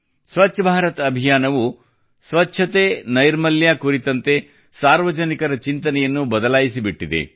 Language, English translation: Kannada, The Swachh Bharat Abhiyan has changed people's mindset regarding cleanliness and public hygiene